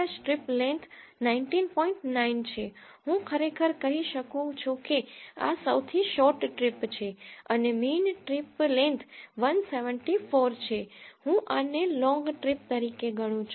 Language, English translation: Gujarati, 9, I can actually say that this is of shortest trip and if the mean trip length is 174, I can treat this as a long trips